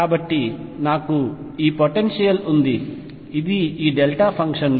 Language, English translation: Telugu, So, I have this potential which is like this delta functions